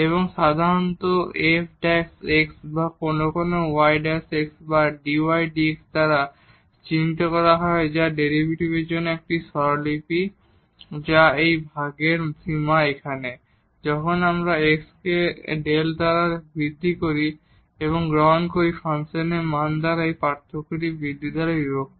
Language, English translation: Bengali, And, this is usually denoted by this f prime x or sometimes y prime x or dy over dx that is a notation for the derivative which is the limit of this quotient here, when we make the increment in x by delta x and take this difference by the value of the function at x divided by the increment